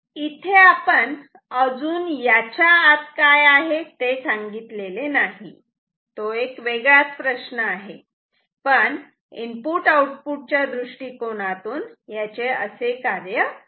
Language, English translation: Marathi, We have not said yet what is there inside that is different question, but from input output behavior this is how it behaves